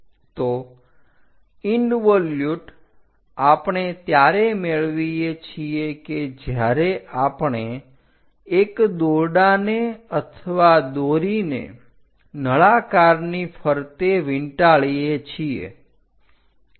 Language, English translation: Gujarati, So, involute we get it when a rope or thread is winding on a cylinder